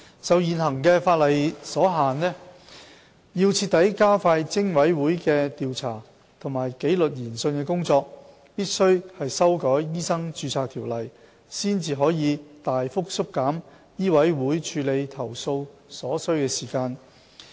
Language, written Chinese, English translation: Cantonese, 受現行法例所限，要徹底加快偵委會的調查及紀律研訊的工作，必須修改《醫生註冊條例》，才可大幅縮減醫委會處理投訴所需的時間。, Given the constraints of the existing legislation it is necessary to amend MRO in order to expedite PIC investigations and disciplinary inquiries . The time required by MCHK for handling complaints could then be substantially shortened